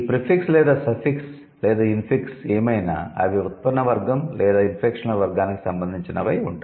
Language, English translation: Telugu, So, these prefixes or suffixes or infixes whatever, they would have either the derivational category or the inflectional category